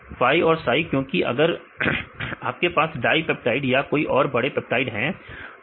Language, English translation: Hindi, Phi and psi because if you have a dipeptide or any longer peptides